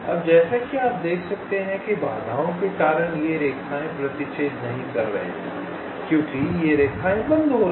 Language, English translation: Hindi, now, as you can see, because of the obstacles, this lines are not intersecting, because this lines are getting stopped